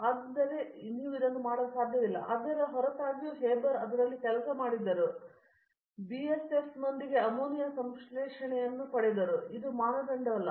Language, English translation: Kannada, So, you cannot work on this, but in spite of it Haber worked on it and got the ammonia synthesis with a BSF, that is not the criteria